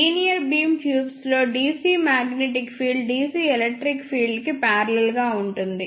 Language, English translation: Telugu, I will discuss in detail later in the linear beam tubes DC magnetic field is parallel to the DC electric field